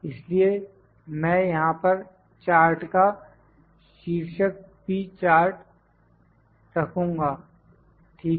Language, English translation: Hindi, So, this is I will put the chart title here this is P chart, ok